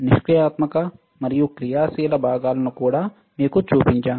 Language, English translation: Telugu, And I also shown you the passive and active components